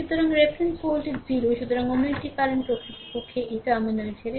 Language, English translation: Bengali, So, reference voltage is 0 so, another current actually leaving this terminal